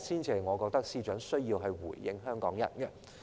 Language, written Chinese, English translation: Cantonese, 這是我認為司長需要回應香港人的地方。, This is what I think the Secretary should respond to the people of Hong Kong about